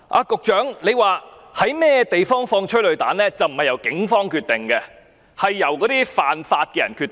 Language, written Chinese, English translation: Cantonese, 局長說在哪處施放催淚彈並非由警方決定，而是犯法的人決定。, The Secretary said that it was not for the Police to decide the locations for firing tear gas but persons committing illegal acts